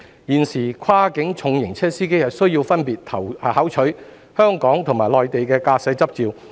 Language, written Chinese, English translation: Cantonese, 現時，跨境重型車司機需要分別考取香港和內地駕駛執照。, At present drivers of cross - boundary heavy vehicles are required to get the driving licences of Hong Kong and the Mainland respectively